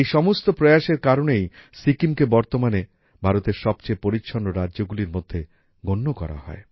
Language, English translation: Bengali, Due to such efforts, today Sikkim is counted among the cleanest states of India